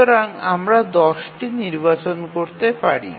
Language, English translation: Bengali, So, you can choose 10